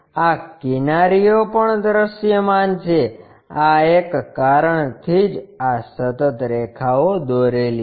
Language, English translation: Gujarati, These edges are also visible that is a reason these are continuous lines